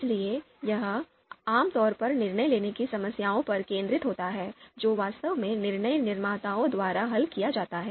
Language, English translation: Hindi, So this typically focuses on DM problems, decision making problems that are actually solved by decision makers